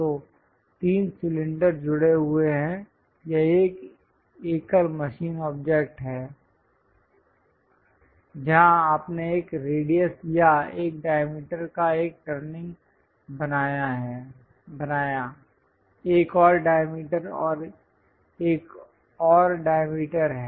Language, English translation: Hindi, So, there are 3 cylinders connected with each other or a single machine object, where you made a turning operation of one radius or one diameter, another diameter and this one is another diameter